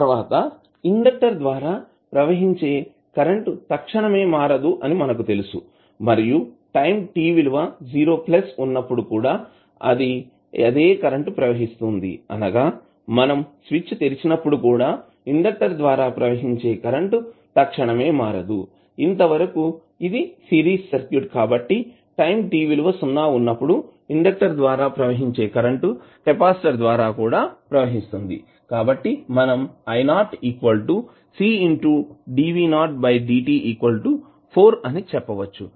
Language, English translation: Telugu, Next we know that the current through inductor cannot change abruptly and it is the same current flows through at time t is equal to 0 plus means even when we open the switch the current across the current through the inductor cannot change abruptly, so what will be the, since it is the series circuit so the current which is flowing through inductor at time t is equal to 0 will continue to flow through the capacitor also, so we can say i naught is nothing but C dv naught by dt is equal to 4 ampere which we calculated previously